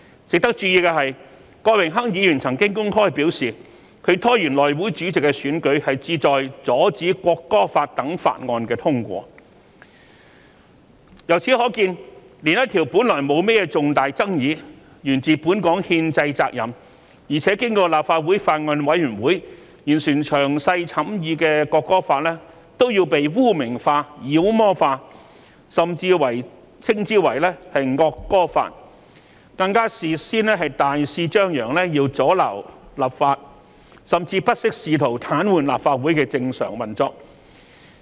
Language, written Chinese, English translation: Cantonese, 值得注意的是，郭榮鏗議員曾經公開表示，他拖延內會主席選舉旨在阻止《條例草案》等法案通過，由此可見，原本一項沒有重大爭議、源自本港憲制責任，而且經過立法會法案委員會完成詳細審議的《條例草案》被污名化、妖魔化，甚至稱之為"惡歌法"，更事先大肆張揚要阻撓立法，甚至不惜試圖癱瘓立法會的正常運作。, It is worth noting that Mr Dennis KWOK has openly indicated that he delayed the election of the Chairman of the House Committee for the purpose of obstructing the passage of various bills including this Bill . As we can see the Bill which was initially not particularly controversial the passage of which is the constitutional responsibility of Hong Kong and which had been scrutinized in detail at the Bills Committee of the Legislative Council is being smeared demonized and even called the draconian anthem law . Worse still Members have publicized in advance that they would block the passage of the Bill even at the cost of paralysing the normal operation of the Legislative Council